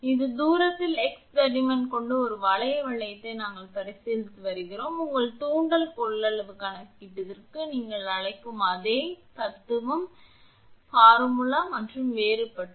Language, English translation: Tamil, So, we are considering at a distance x this annular ring of thickness dx the way you are doing for your what you call for your inductance capacitance calculation same philosophy, only formulas are different